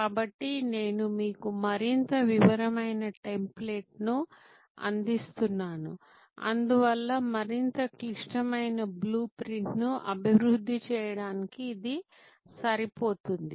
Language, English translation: Telugu, So, I provide you with another more detail template, which is suitable therefore, for developing a more complex blue print